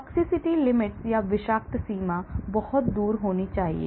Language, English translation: Hindi, The toxicity limits should be much farther